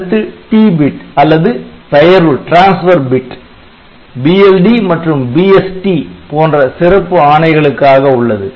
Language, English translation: Tamil, Then the next bit is the T bit which is a transfer bit used by BLD and BST instructions